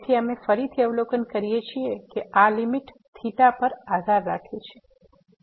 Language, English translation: Gujarati, So, what we observe again that this limit is depend on is depending on theta